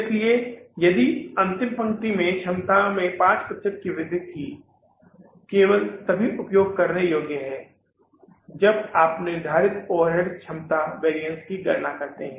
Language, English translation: Hindi, So this last line that there was an increase in the capacity by 5% is only usable if you calculate the fixed overhead capacity variance